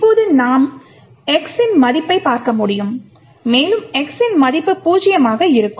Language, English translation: Tamil, Now we could actually look at the value of x and rightly enough the value of x will be zero